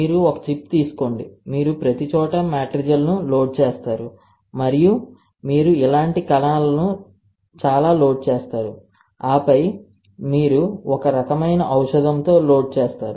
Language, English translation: Telugu, You take a chip, you load the matrigel everywhere and you load cells like this, you load lot of cells like this, and then you load this thing with some kind of drug